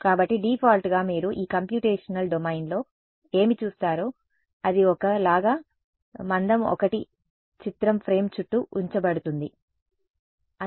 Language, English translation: Telugu, So, by default what it will do you look at this computational domain over here it will put like a picture frame of thickness 1 all around ok